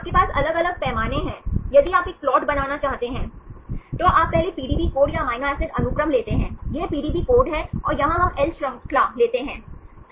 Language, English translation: Hindi, So, you have different scales, if you want to make a plot, you first you take the PDB code or amino acid sequence, this is the PDB code and here we take the L chain